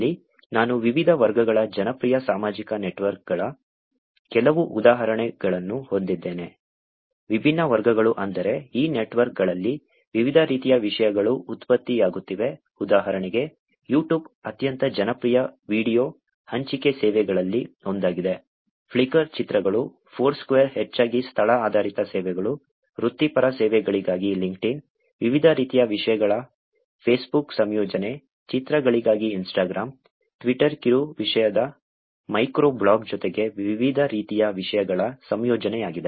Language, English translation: Kannada, Here I have some examples of popular social networks of different categories, different categories I mean different types of contents are getting generated in these networks, for example, YouTube is one of the most popular video sharing service, Flickr images, Foursquare is mostly the location based services, LinkedIn which is for professional services, Facebook combination of many different types of content, Instagram which is for the images, Twitter is the micro blog of short content plus also the combination of different types of content